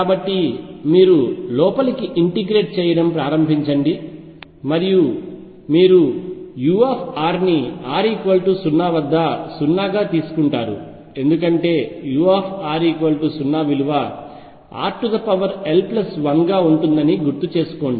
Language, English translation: Telugu, So, you start integrating inward and you also take u r to be 0 at r equals 0 because recall that u near r equals 0 goes as r raise to l plus 1